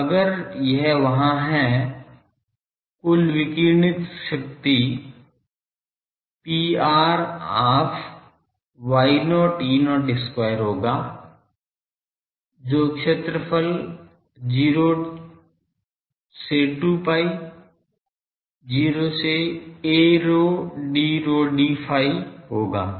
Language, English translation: Hindi, So, if this is there the total radiated power P r will be half Y not E not square then the area 0 to 2 pi, 0 to a rho d rho d phi